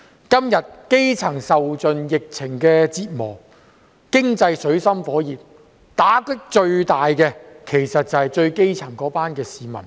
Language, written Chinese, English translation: Cantonese, 基層市民在今天受盡疫情折磨，經濟陷入水深火熱，打擊最大的就是一群最基層的市民。, The grass - roots people have been bearing the brunt of the pandemic which has plunged the economy into an abyss of recession . The hardest - hit groups are the grass - roots people